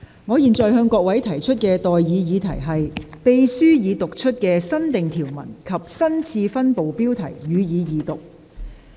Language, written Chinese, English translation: Cantonese, 我現在向各位提出的待議議題是：秘書已讀出的新訂條文及新次分部的標題，予以二讀。, I now propose the question to you and that is That the new clauses and the new subdivision heading read out by the Clerk be read a Second time